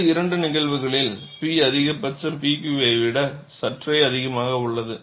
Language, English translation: Tamil, In the other two cases, P max is slightly higher than P Q